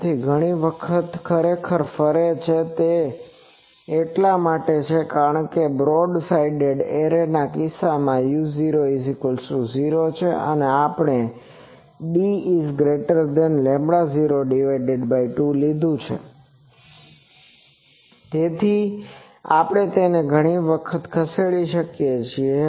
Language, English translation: Gujarati, So, many times it is revolving actually, it is just because it is a case of a broad side array u 0 is 0 and we have taken d is greater than lambda 0 by 2 so, we can move it so many times